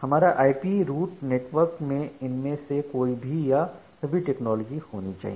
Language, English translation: Hindi, IP route network that may use any or all of these underlying technologies